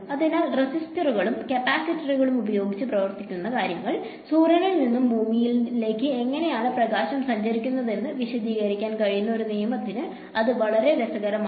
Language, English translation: Malayalam, So, its quite interesting that things that are working with the resistors and capacitors, a law that is built on that somehow is able to explain how light travels from the sun to earth